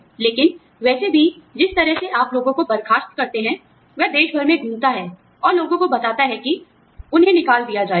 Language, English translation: Hindi, But anyway, so, you know, the way you fire people, he goes around the country, and tells people that, they are going to be fired